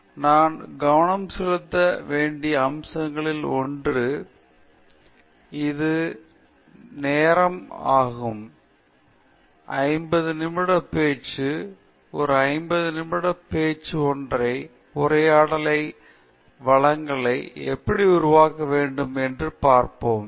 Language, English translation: Tamil, So, one of the aspects that we need to focus on is time; this is a fifty minute talk intended as a fifty minute single talk on how to make a presentation, and we will see how well we pace ourselves through this talk okay